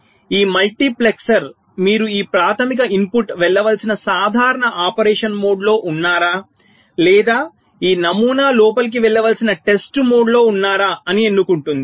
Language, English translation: Telugu, so this multiplexor will be selecting whether i mean you are in the normal mode of operation, where this primary input should go in, or you are in the test mode where this pattern should go in